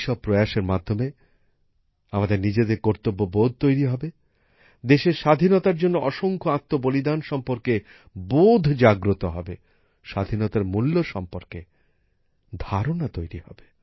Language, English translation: Bengali, With these efforts, we will realize our duties… we will realize the innumerable sacrifices made for the freedom of the country; we will realize the value of freedom